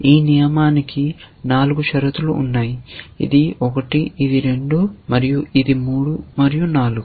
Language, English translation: Telugu, This rule has four conditions, this is 1, this is 2, and 3, and 4